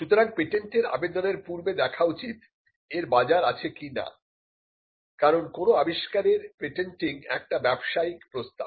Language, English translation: Bengali, So, before you patent, you would see whether there is a market for it; which means it patenting is a business proposition